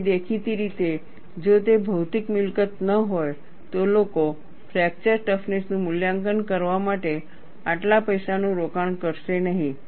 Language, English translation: Gujarati, And obviously, if it is not a material property, people would not invest so much money, to evaluate fracture toughness